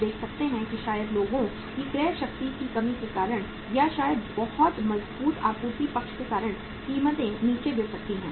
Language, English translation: Hindi, We can see that maybe because of the lack of purchasing power of the people or maybe because of very strengthened supply side, the prices may fall down